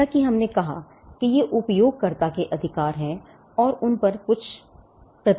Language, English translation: Hindi, As we said these are rights of the user and there are certain restrictions on those rights